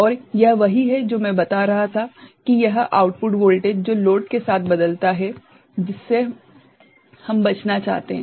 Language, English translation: Hindi, And, this is what I was telling that this output voltage which changes with load that we want to avoid